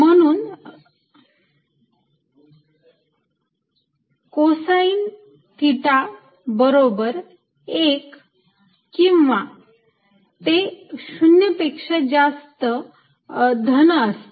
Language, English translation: Marathi, so cos theta equal to one or greater than zero, positive